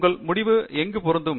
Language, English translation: Tamil, Where does your result fit in